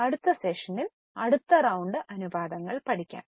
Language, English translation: Malayalam, In the next session, we will go for next round of ratios